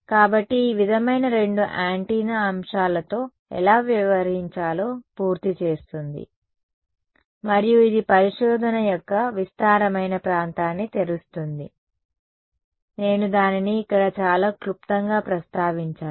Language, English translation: Telugu, So, this sort of completes how to deal with two antenna elements and this opens up a vast area of research I will just very briefly mention it over here